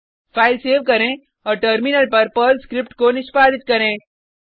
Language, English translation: Hindi, Save the file and execute the Perl script on the Terminal